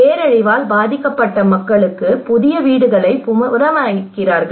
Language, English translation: Tamil, You are reconstructing new houses it is for the people who are affected by a disaster